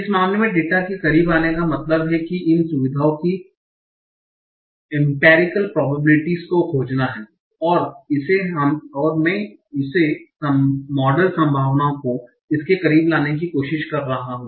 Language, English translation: Hindi, So coming close to data in this case means finding the ambiguous probabilities of these features and trying to make it, trying the model probabilities to be close to this